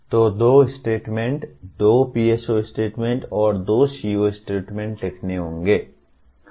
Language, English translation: Hindi, So two statements, two PSO statements and two CO statements have to be written